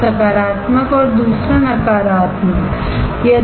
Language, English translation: Hindi, One is positive and the other one is negative